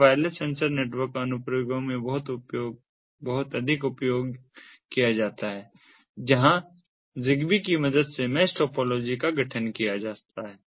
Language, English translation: Hindi, it is heavily used in wireless sensor network applications where mesh topologies are formed with the help of zigbee